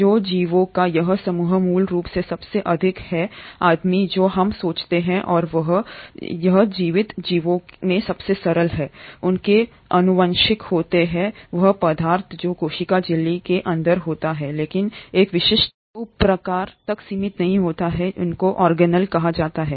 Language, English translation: Hindi, So this group of organisms basically most primitive ones as we think and the simplest of the living organisms, consist of their genetic material which is inside the cell membrane but is not in confined to a specific subpart which is called as the organelle